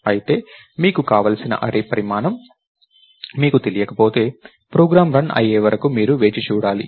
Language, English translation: Telugu, However, if you don't know the size of the array that you want and so on right, you have to wait till the program starts running